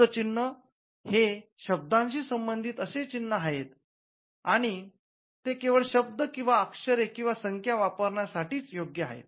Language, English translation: Marathi, So, word marks are marks which pertain to a word alone, and it gives the right only for the use of the word or the letters or the numbers